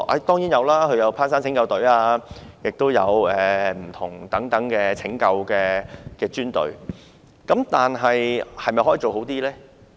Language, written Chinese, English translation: Cantonese, 當然有，他們有攀山拯救隊，也有其他不同的拯救專隊，但可否再做得好一點呢？, Certainly they are . They have a mountain search and rescue team and various other specialty rescue teams . But can they do a bit better?